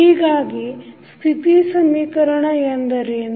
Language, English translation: Kannada, So, what is the state equation